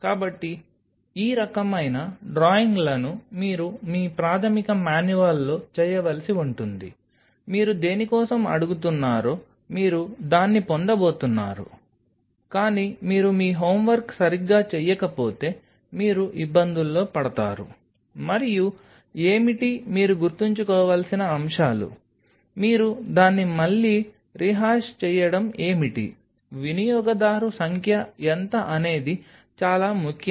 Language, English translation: Telugu, So, these kind of drawings you have to do in your basic manual to visualize what you are asking for whatever you are going to asking for your going to get that, but unless you do your homework right you will land up in trouble and what are the points what you have to keep in mind, what is your again rehashing it is, what is the number of user this is very important